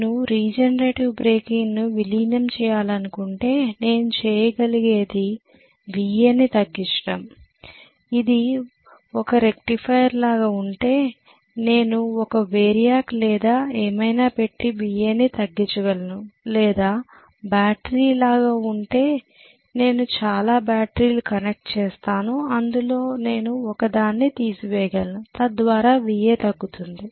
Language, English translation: Telugu, If I want regenerative breaking to be incorporated, what I can do is either I reduce VA, if it is like a rectifier I would be able to put a variac or whatever and reduce VA or if it is like a battery I connected multiple number of batteries I can remove one of the batteries, so that VA will be decreased